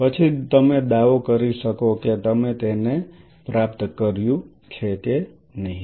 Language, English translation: Gujarati, Then only you will be able to make a claim of whether you have achieved it or not